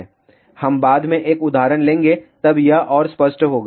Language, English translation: Hindi, We will take an example later on then this will be more clear